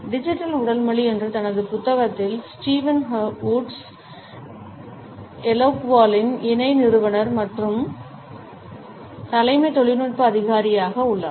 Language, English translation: Tamil, In his book Digital Body Language, Steven Woods is the co founder and Chief Technology officer at Eloqua